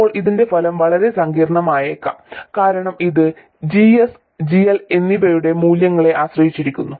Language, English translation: Malayalam, Now the effect of this it turns out can be quite complicated because it depends on the values of GS and GL and so on